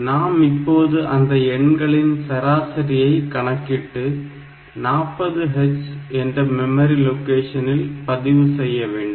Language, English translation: Tamil, And then we want to compute the average of these numbers and store the result in the memory location 40 h